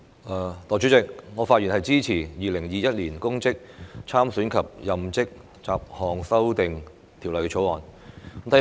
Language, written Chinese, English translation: Cantonese, 代理主席，我發言支持《2021年公職條例草案》。, Deputy President I speak in support of the Public Offices Bill 2021 the Bill